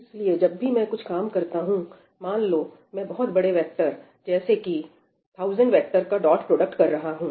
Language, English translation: Hindi, whenever I have to do some work, right, let us say I am doing the dot product of a large vector of, let us say, 1000 entries